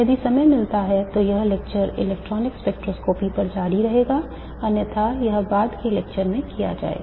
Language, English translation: Hindi, If time permits this lecture will continue on to electronic spectroscopy otherwise this will be done in a later lecture